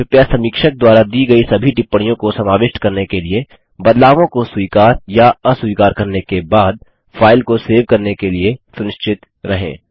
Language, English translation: Hindi, Please be sure to save the file after accepting or rejecting changes to incorporate all comments given by the reviewers